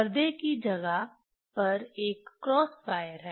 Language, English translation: Hindi, Instead of screen, we put the cross wire